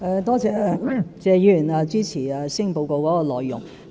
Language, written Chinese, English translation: Cantonese, 多謝謝議員支持施政報告的內容。, I thank Mr TSE for supporting the content of the Policy Address